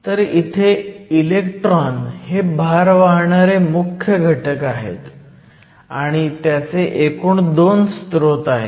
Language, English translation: Marathi, So, in this case, electrons are the majority charge carriers and they are essentially two sources of electrons